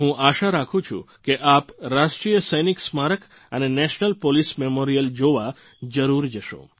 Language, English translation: Gujarati, I do hope that you will pay a visit to the National Soldiers' Memorial and the National Police Memorial